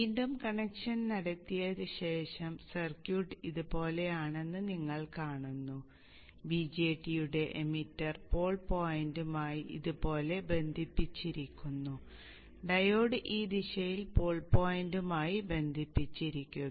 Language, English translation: Malayalam, The BJAT is connected to the pole point in the station, the emitters connect to the pole point, the diode is connected in this direction to the pole point